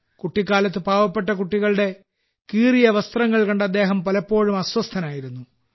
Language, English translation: Malayalam, During his childhood, he often used to getperturbedon seeing the torn clothes of poor children